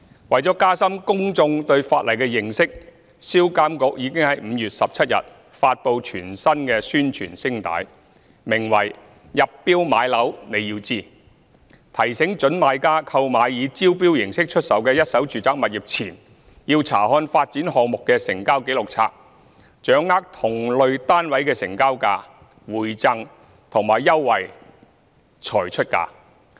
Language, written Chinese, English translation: Cantonese, 為了加深公眾對法例的認識，銷監局已於2019年5月17日發布全新宣傳聲帶，名為"入標買樓你要知"，提醒準買家購買以招標形式出售的一手住宅物業前，要查看發展項目的成交紀錄冊，掌握同類單位的成交價、回贈和優惠才出價。, To promote public awareness of the Ordinance SRPA launched a new radio Announcement in the Public Interest on 17 May named Bidding First - hand Residential Properties . The purpose is to remind prospective purchasers that before bidding for a first - hand residential property they should obtain the prices rebates and benefits of similar properties of the development from the Register of Transactions